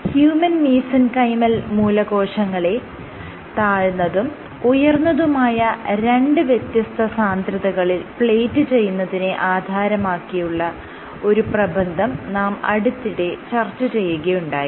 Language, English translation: Malayalam, In this regard we discussed a paper where human Mesenchymal Stem Cells were plated at 2 densities; you have low density and high density